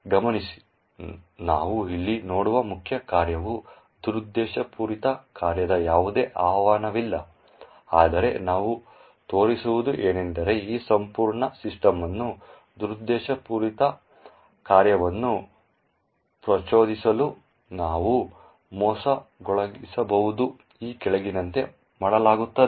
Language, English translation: Kannada, Note that, the main function we see over here there is no invocation of malicious function but what we will show is that we can trick this entire system into invoking the malicious function, let say this as follows